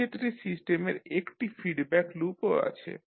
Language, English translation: Bengali, So in this case the system has one feedback loop also